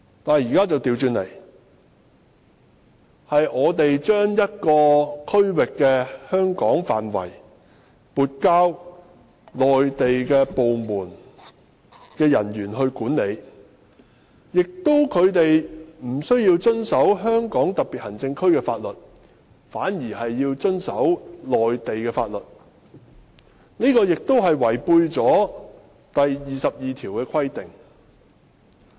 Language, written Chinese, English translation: Cantonese, 可是，現在卻恰好相反，是香港將某個區域撥交內地相關部門的人員管理，而他們無須遵守香港特別行政區的法律，只須遵守內地法律，這亦違反了《基本法》第二十二條的規定。, However the present case is exactly the opposite as the control of a certain part of Hong Kong will be transferred to the personnel of the relevant Mainland authorities and the fact that the personnel concerned are only required to comply with the laws of the Mainland but not that of HKSAR also contravenes Article 22 of the Basic Law